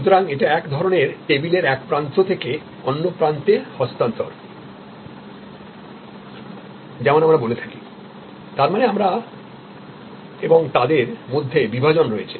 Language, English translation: Bengali, So, there is a sought of across the table transfer as we say; that means, there is a some kind of we and them divide